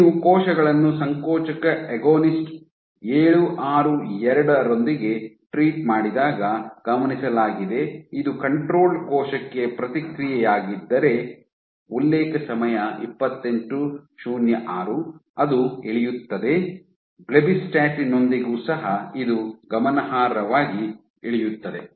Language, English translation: Kannada, So, what has been observed is when you treat cells with contractile agonist, if this was the response for a control cell when you treat with 762, it drops, with blebbistatin also it drops significantly